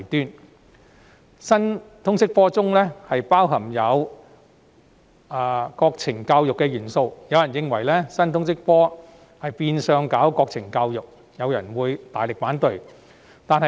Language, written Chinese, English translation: Cantonese, 由於新通識科包含國情教育元素，有人認為這是變相的國情教育，於是大力反對。, As the new LS subject contains the elements of national education some considered it a disguised form of national education and strongly opposed it